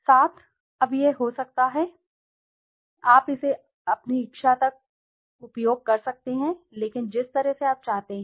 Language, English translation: Hindi, Now it could be, you can use it up to your wish, but the way you like to